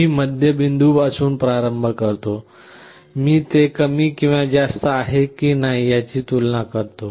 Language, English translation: Marathi, I start with the middle point, I compare whether it is less or greater